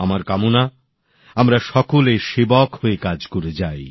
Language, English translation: Bengali, I wish we all keep working as a Sevak